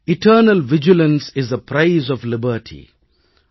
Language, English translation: Tamil, Eternal Vigilance is the Price of Liberty